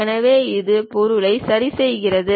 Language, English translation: Tamil, So, it fixes the object